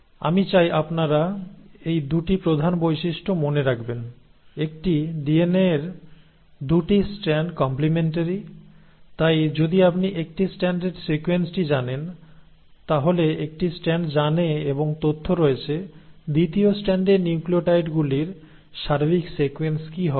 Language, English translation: Bengali, So this is, these are 2 major features I want you to keep in mind, one that the 2 strands of DNA are complimentary, so in a sense if you know the sequence of one strand, that one strand knows and has information as to what all would be the sequence of nucleotides in the second strand